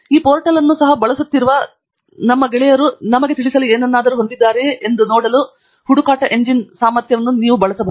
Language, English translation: Kannada, You can also use the search engine capabilities to see whether our peers who are also using this portal have something to convey to us